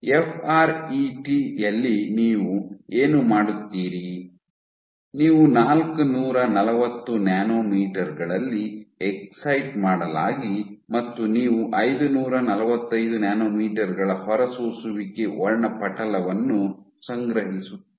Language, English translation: Kannada, In FRET what you do you excite at 440 nanometers and you collect the emission spectra of 545 nanometers